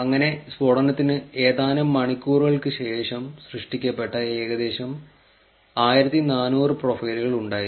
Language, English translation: Malayalam, So, there were about 1400 profiles that were suspended which were just created few hours after the blast, right